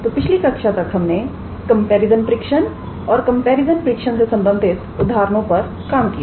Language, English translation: Hindi, So, up until last class we looked into comparison test and examples involving comparison tests